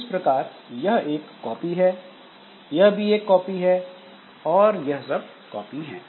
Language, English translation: Hindi, So, this is a copy and this is also a copy